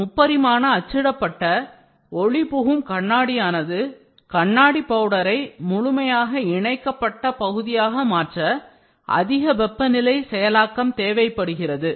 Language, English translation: Tamil, The 3D printed optically transparent glass requires high temperature processing of glass powder into fully annealed product